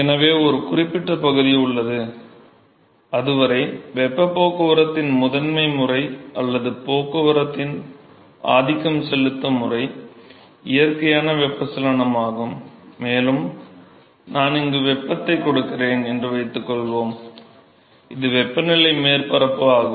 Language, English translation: Tamil, So, there is a certain region till which point the mode of, primary mode of heat transport or the dominant mode of the transport is the natural convection, and what happens is supposing I supply heat here and this is the temperature surface